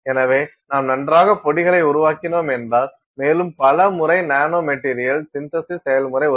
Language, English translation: Tamil, So, if you are making fine powders and many times the nanomaterial synthesis process will help will be easy to do, if you are working with fine powders